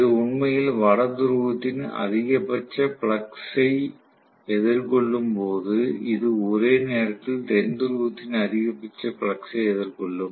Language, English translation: Tamil, So, when this is actually facing the maximum flux of the North Pole, this will simultaneously phase the maximum flux of the South Pole